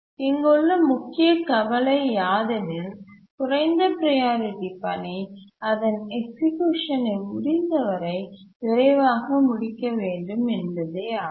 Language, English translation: Tamil, But how do we really make a low priority task complete its execution as early as possible